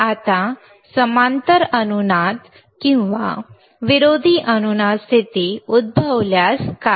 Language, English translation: Marathi, Now, what if a parallel resonance or anti resonance condition occurs